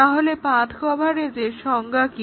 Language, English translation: Bengali, So, what is the definition of path coverage